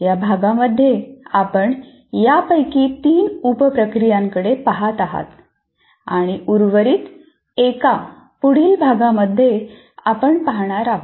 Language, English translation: Marathi, And in this particular unit we will be particularly looking at three of the sub processes and the remaining ones we will look at in the following unit